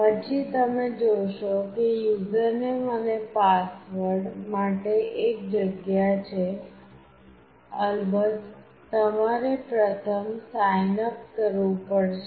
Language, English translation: Gujarati, org Then you see that there is a place for user name and password; of course, you have to first signup to do this